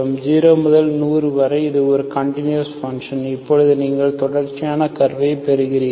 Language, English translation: Tamil, From 0 to 100 it is a discontinuous function, now simply you get a continuous curve